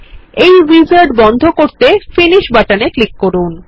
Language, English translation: Bengali, Click on the Finish button to close this wizard